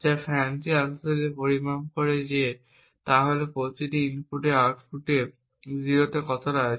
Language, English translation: Bengali, So, what FANCI actually measures, is the probability with which this input A affects the output